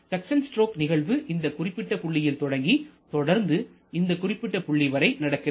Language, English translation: Tamil, So, effectively your suction stroke starts from this particular point and continues till this particular point